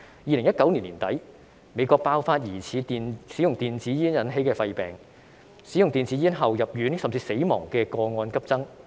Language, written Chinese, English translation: Cantonese, 2019年年底，美國爆發疑似使用電子煙引起的肺病，使用電子煙後入院，甚至死亡的個案急增。, At the end of 2019 there was an outbreak of lung disease in the United States suspected to be caused by e - cigarette use . There was a sharp increase in hospital admissions and even deaths after using e - cigarettes